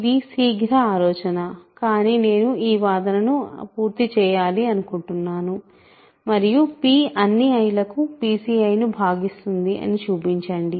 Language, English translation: Telugu, So, this is a quick hint, but I will let you finish the argument and show that p divides p choose i for all i